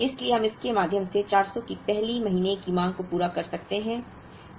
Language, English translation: Hindi, So, we can meet the 1st month’s demand of 400 through it